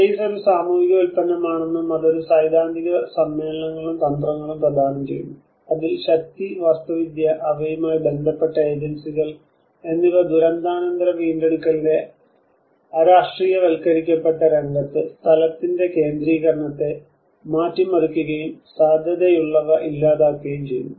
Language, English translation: Malayalam, He says the space is a social product, and it offers a theoretical assemblages and tactics in which power, architecture, and also their associated agencies alter and potentially dissolve the centrality of space in the depoliticized arena of post disaster recovery